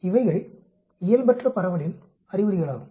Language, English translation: Tamil, So, these are indications of Non normal distribution